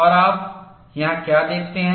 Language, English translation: Hindi, And what do you see here